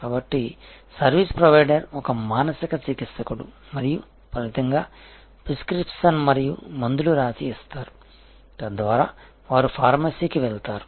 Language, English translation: Telugu, So, there is a service provider is a mental therapist and as a result of, which there can be prescription and drugs leading to pharmacy